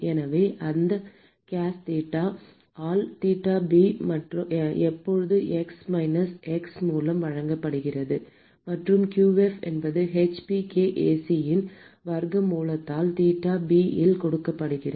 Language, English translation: Tamil, So, that case theta by theta b is simply given by exp minus mx; and qf is given by square root of hPkAc into theta b